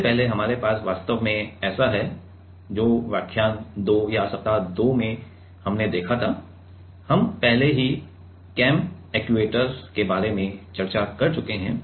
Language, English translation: Hindi, Earlier, we have actually so, this is in lecture 2 or in week 2, we have already we have discussed about the cam actuator